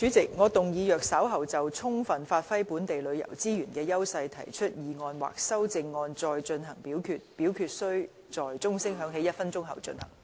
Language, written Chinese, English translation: Cantonese, 主席，我動議若稍後就"充分發揮本地旅遊資源的優勢"所提出的議案或修正案再進行點名表決，表決須在鐘聲響起1分鐘後進行。, President I move that in the event of further divisions being claimed in respect of the motion on Giving full play to the edges of local tourism resources or any amendments thereto this Council do proceed to each of such divisions immediately after the division bell has been rung for one minute